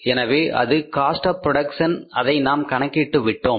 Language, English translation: Tamil, So this is the cost of production we have calculated now